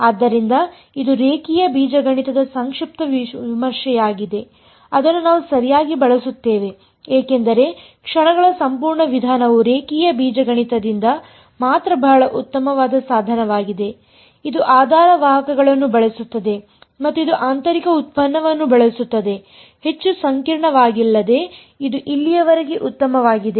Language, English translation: Kannada, So, this is sort of brief review of linear algebra that we will use ok; because the whole method of moments is a very very nice tool from linear algebra only, it uses basis vectors and it uses inner products nothing much nothing more complicated in that is this fine so far